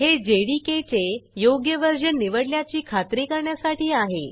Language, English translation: Marathi, This is to make sure if the correct version of the JDK has been chosen